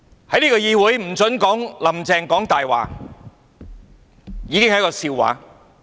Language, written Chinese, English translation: Cantonese, 在這個議會不准說"'林鄭''講大話'"已經是一個笑話。, That we are not allowed to say Carrie LAM is lying in this Council is already a joke